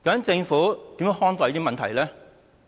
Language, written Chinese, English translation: Cantonese, 政府如何看待這些問題？, What do the Government think about these problems?